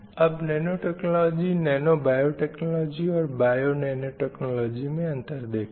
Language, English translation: Hindi, So let us also see what is the difference between nanotechnology, nano biotechnology and bio nanatotechnology